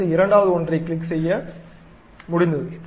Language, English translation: Tamil, I just go ahead, click the second one, done